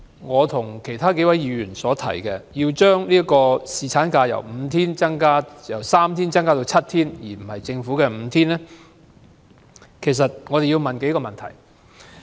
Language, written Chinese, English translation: Cantonese, 我和其他議員提出將侍產假由3天增至7天，而非政府建議的5天，是因為我們考慮到幾個問題。, The aforesaid Members and I have proposed extending the three - day paternity leave to seven days instead of five days as proposed by the Government due to a number of considerations